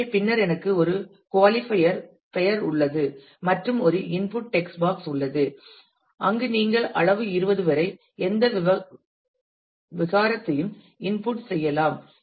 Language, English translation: Tamil, So, and then I have a qualifier name and there is a input text box where you can input any strain up to size 20